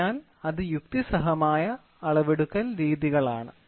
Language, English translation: Malayalam, So, that is rational methods of measurement